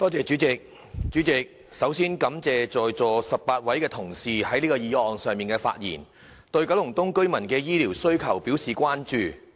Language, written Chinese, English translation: Cantonese, 主席，首先我感謝在席18位同事就這項議案發言，對九龍東居民的醫療服務需求表示關注。, Before all else President I would like to thank the 18 Honourable colleagues who are present here for speaking on this motion and expressing concern about the demand the residents of Kowloon East for healthcare services